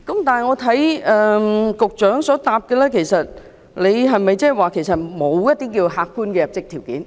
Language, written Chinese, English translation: Cantonese, 但是，局長在主體答覆中沒有提到加入客觀的入職條件。, However the Secretarys main reply has not mentioned adding objective requirements